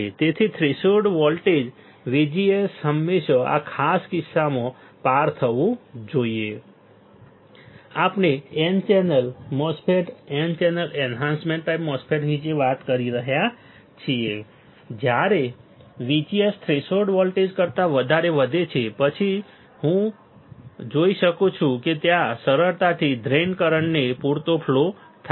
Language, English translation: Gujarati, So, threshold voltage the VGS should always cross in this particular case, we are talking about n channel MOSFETs n channel enhancement type MOSFETs when VGS is increased greater than threshold voltage, then only I will be able to see that there is a sufficient flow of drain current easy